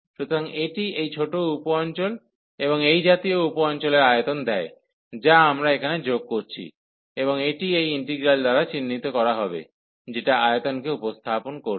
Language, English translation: Bengali, So, this gives the volume of this smaller sub region and such sub regions we are adding here and that will be denoted by this integral, so that will represent the volume